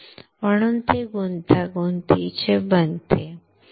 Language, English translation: Marathi, So, it becomes complex and complex